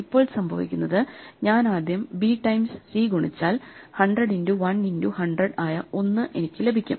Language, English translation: Malayalam, Now what happens is that when I multiply d times C then I get something which is 100 into 1 into 100